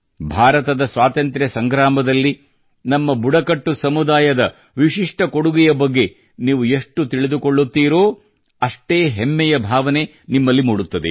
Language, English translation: Kannada, The more you know about the unique contribution of our tribal populace in the freedom struggle of India, the more you will feel proud